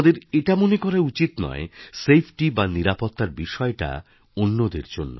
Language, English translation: Bengali, Let us not think that safety is only meant for someone else